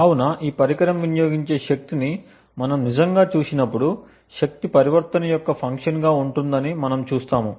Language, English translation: Telugu, So, therefore when we actually look at the power consumed by this device, we would see that the power would be a function of the type of transitions that happen